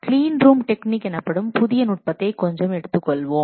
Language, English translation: Tamil, Also we will discuss something about relatively new technique called as clean room technique